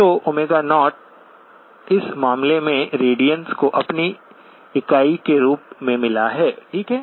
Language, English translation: Hindi, So omega 0 in this case has got radians as its unit, okay